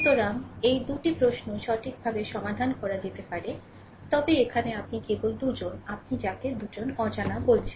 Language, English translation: Bengali, So, these 2 questions can be solved right, but here it is only 2 you are, what you call only 2 unknown